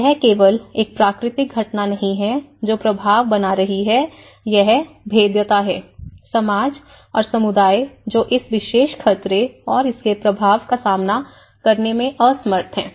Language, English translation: Hindi, So, it is not just a natural phenomenon which is making an impact it is the vulnerability, which is the people’s vulnerability, the society, the community, who are unable to face, that who cope up with that particular hazard and its impact